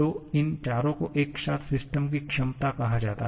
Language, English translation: Hindi, So, these 4 together are called the potential of the system